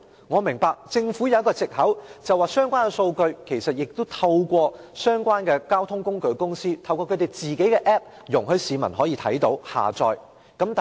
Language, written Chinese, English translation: Cantonese, 我明白政府有一個藉口，指相關數據已透過相關交通工具公司的 App， 讓市民瀏覽及下載。, I understand that the Government has an excuse that the relevant data is available for browsing and downloading by the public through the App of the transport companies concerned